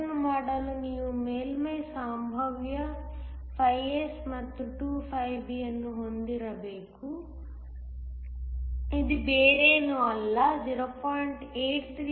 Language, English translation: Kannada, In order to do that we need to have a surface potential φS and is 2 φB, this is nothing but 0